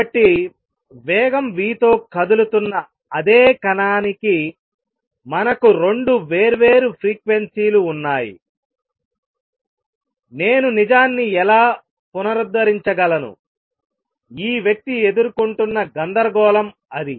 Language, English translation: Telugu, So, for the same particle which is moving with speed v, we have 2 different frequencies, how do I reconcile the true, that was the dilemma that this person was facing